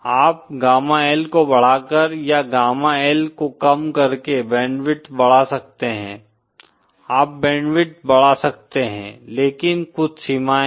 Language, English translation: Hindi, You can increase, decrease the band width by increasing gamma L or by decreasing gamma L you can increase the band width, But there are some limitations